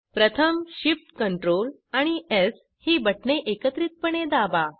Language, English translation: Marathi, First press Shift, Ctrl and S keys simultaneously